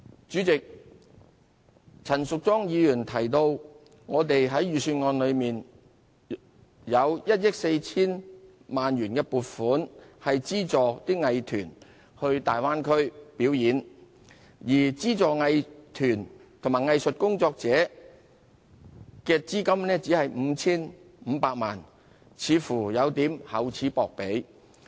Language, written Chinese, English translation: Cantonese, 主席，陳淑莊議員提到，政府在預算案中有1億 4,000 萬元撥款資助藝團前往大灣區表演，而資助藝團及藝術工作者的資金只有 5,500 萬元，似乎有點厚此薄彼。, Chairman Ms Tanya CHAN has commented that the Government seems to be somewhat partial in that it has budgeted 140 million to subsidize arts groups performances in the Bay Area but only committed 55 million to subsidize arts groups and artists